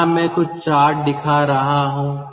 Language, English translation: Hindi, here i am showing some sort of a chart